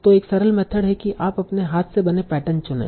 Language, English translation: Hindi, So one simple method is use your hand build patterns